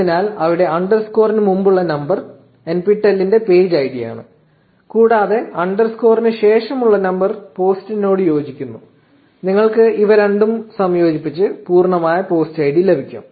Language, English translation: Malayalam, So, here the number before the underscore is the page id of the NPTEL and the number after the underscore corresponds to the post you can combine these two and you get the complete post id